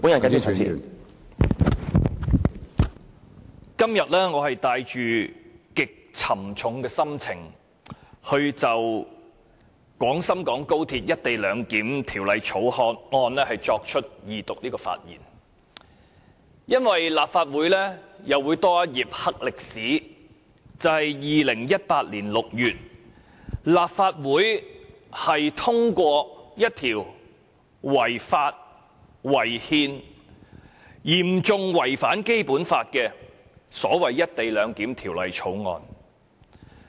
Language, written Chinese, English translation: Cantonese, 我今天是帶着極沉重的心情就《廣深港高鐵條例草案》的二讀辯論發言，因為立法會又會多一頁"黑歷史"，就是在2018年6月通過一項違法、違憲及嚴重違反《基本法》的《條例草案》。, Today I am speaking on the Second Reading debate of the Guangzhou - Shenzhen - Hong Kong Express Rail Link Co - location Bill the Bill with a very heavy heart because the Legislative Council has one more page of dark history and that is the passage of the Bill in June 2018 which is unlawful unconstitutional and in serious contravention of the Basic Law